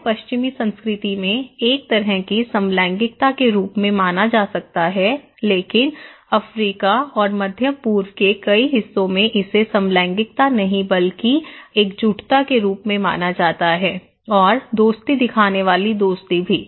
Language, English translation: Hindi, This is could be considered in Western culture as a kind of homosexuality but in many part of Africa and Middle East this is considered to be as not homosexual but solidarity and also friendship showing friendship